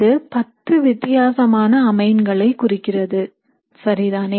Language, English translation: Tamil, These correspond to 10 different amines, all right